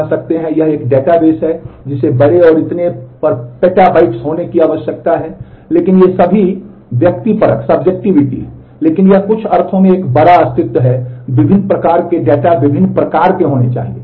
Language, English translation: Hindi, But these are all subjectivity, but it is large has a voluminous existent in certain sense, there has to be different variety different types of data